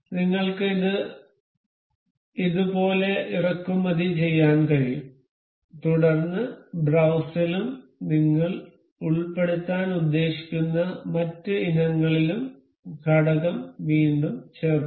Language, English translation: Malayalam, You can import it like this, and then again insert component in browse and other items that we intend to include